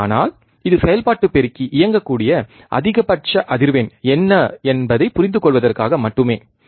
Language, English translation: Tamil, But this is just to understand what is the maximum frequency that operational amplifier can operate it